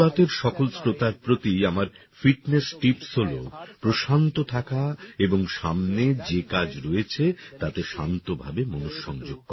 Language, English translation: Bengali, My fitness tip to all 'Mann Ki Baat' listeners would be to keep calm and focus on the task ahead